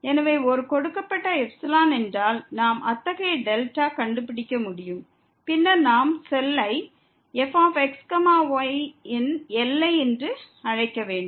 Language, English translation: Tamil, So, if for a given epsilon, we can find such a delta, then we will call that the cell is the limit of